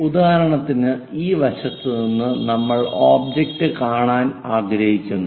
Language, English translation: Malayalam, For example, from this directions side direction we will like to see the object